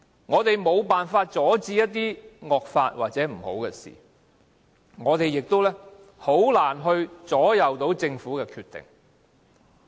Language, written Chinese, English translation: Cantonese, 我們無法阻止一些惡法或不好的事，我們亦難以影響政府的決定。, We will be unable to block the passage of draconian laws or prevent undesirable happenings and we will find it very hard to influence government decisions